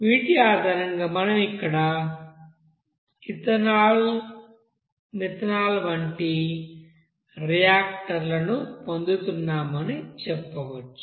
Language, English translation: Telugu, So based on these we can say that since here we are getting these reactant or like you know that methanol